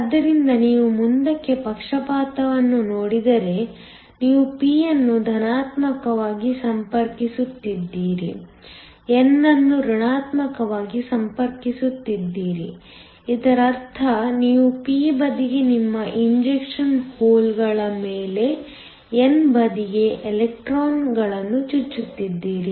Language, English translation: Kannada, So, if you look at forward bias you are connecting p to the positive, n to the negative, which means you are injecting electrons on to the n side on your injecting holes on to the p side